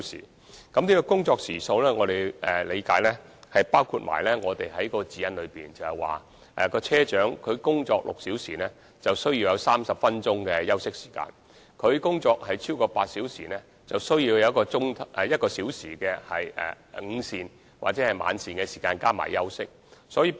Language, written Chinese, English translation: Cantonese, 以我理解，這工作時數包括《指引》所規定，車長工作6小時後應有30分鐘的休息時間，而工作超過8小時便應有1小時的午膳或晚膳時間及休息時間。, As far as I understand it this number of working hours includes the 30 - minute rest time to which bus captains are entitled after six hours of work and the one - hour lunch or dinner break due to them after working for more than eight hours as stipulated in the Guidelines